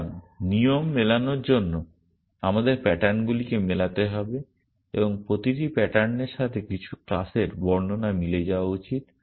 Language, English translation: Bengali, So, for matching the rule we have to match patterns and each pattern should match some class description